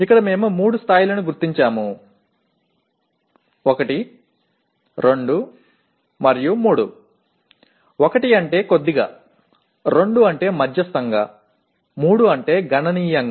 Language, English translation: Telugu, So here we just identify three levels; 1, 2, 3; 1 means slightly, 2 means moderately, 3 means significantly